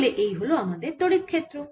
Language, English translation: Bengali, so this is my electric field, so this is my electric field